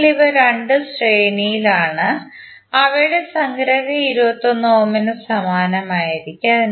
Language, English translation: Malayalam, So these 2 are in series and their summation would be in parallel with 21 ohm